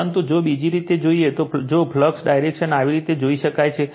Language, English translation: Gujarati, But, if you see in other way, if you can see direction of the flux is like this